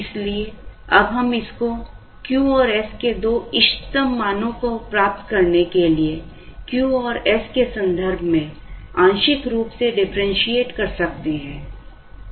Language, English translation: Hindi, So now, we can differentiate this partially with respect to the two variables Q and s, to try and get the optimal values of Q and s